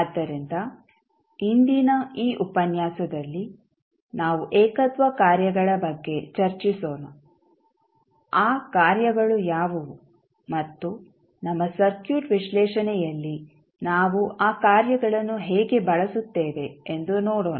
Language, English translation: Kannada, So, today in this lecture we will discuss about the singularity functions, what are those functions and we will see how we will use those functions in our circuit analysis